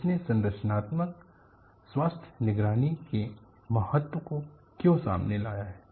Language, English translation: Hindi, Why it has broughtout the importance of structural health monitoring